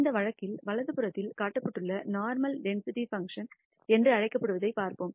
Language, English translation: Tamil, In this case we will look at what is called the normal density function which is shown on the right